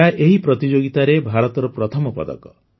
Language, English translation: Odia, This is India's first medal in this competition